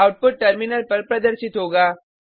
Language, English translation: Hindi, The output will be as displayed on the terminal